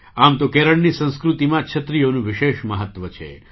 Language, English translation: Gujarati, In a way, umbrellas have a special significance in the culture of Kerala